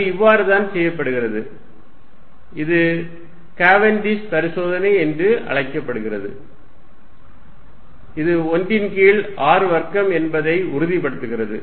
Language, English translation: Tamil, And that is how it is done and this is known as Cavendish experiment and this is confirmed that it is 1 over r square is the degree that 1 over r square plus minus 10 rise to minus 17